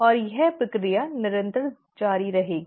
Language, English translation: Hindi, And this process will keep on continuing